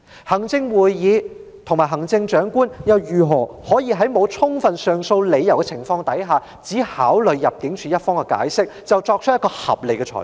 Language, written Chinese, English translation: Cantonese, 行政會議和行政長官又如何在沒有充分上訴理由的情況下，只考慮入境事務處的解釋便作出合理裁決？, Without knowing the reasons for the appeal how can the Executive Council and the Chief Executive make a reasonable ruling by merely considering the explanation given by the Immigration Department?